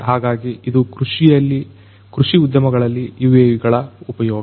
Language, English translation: Kannada, So, this is the use of UAVs in the agricultural industries